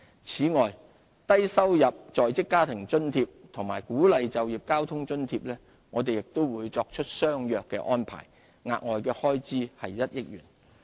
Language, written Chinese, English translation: Cantonese, 此外，就低收入在職家庭津貼及鼓勵就業交通津貼，亦作出相若的安排，額外開支1億元。, Similar arrangements will apply to LIFA and Work Incentive Transport Subsidy involving an additional expenditure of about 100 million